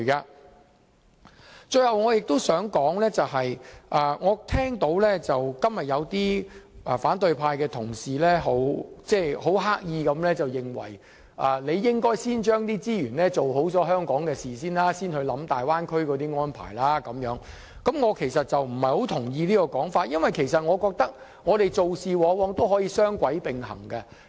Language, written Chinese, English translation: Cantonese, 我最後想指出的是，我今天聽到有些反對派的同事刻意地說應該先用資源做好香港的事，才考慮大灣區的安排。我不太同意此種說法，因為我覺得做事可以雙軌並行。, For my final point of view I heard some Members from the opposition camp say deliberately today that the Government should use the resources to improve the services in Hong Kong before considering the arrangements of the Bay Area but I beg to differ from this view because I think a dual - track approach can be adopted